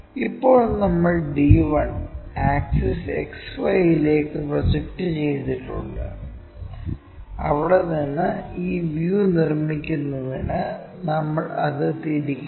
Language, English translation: Malayalam, Now, we have projected d 1 onto axis XY from there we have to rotate it to construct this views